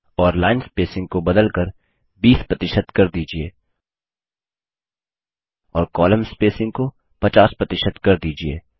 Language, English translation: Hindi, And change the line spacing to 20 percent and column spacing to 50 percent